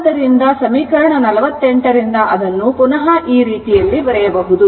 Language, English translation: Kannada, So, this way this equation your equation 48 can be written in this way